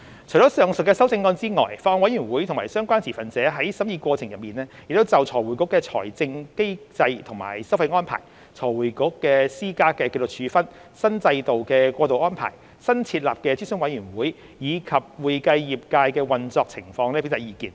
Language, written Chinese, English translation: Cantonese, 除上述的修正案外，法案委員會及相關持份者在審議過程中亦就財匯局的財政機制和收費安排、財匯局施加的紀律處分、新制度的過渡安排、新設立的諮詢委員會，以及會計業界的運作情況表達意見。, Apart from the said amendments the Bills Committee and the relevant stakeholders have also expressed their views on FRCs financial mechanism and levies arrangement the disciplinary sanctions imposed by FRC the transitional arrangements for the new regime the new advisory committee and the operation of the accounting profession during the scrutiny